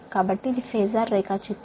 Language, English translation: Telugu, so this is the phasor diagram